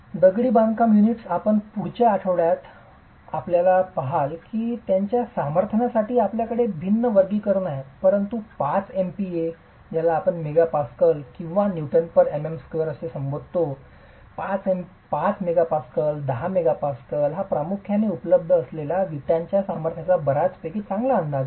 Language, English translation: Marathi, Masonry units you will see in the next week that we have a different classification for their strengths but 5 megapascal or 5 Newton per millimeter square or a 10 Newton per millimeter square is a fairly good estimate of the strength of bricks that are predominantly available